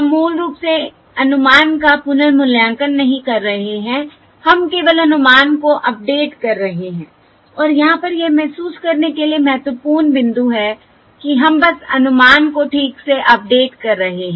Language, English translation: Hindi, We are um, we are: simply, we are not recomputing the estimate, basically we are only updating the estimate, and that is the important point to realise over here, that we are simply updating the estimate